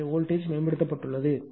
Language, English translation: Tamil, So, voltage has improved